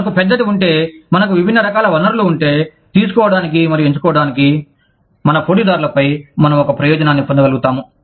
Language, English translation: Telugu, If we have a large, if we have a diverse variety of resources, to pick and choose from, we will be able to get an advantage, over our competitors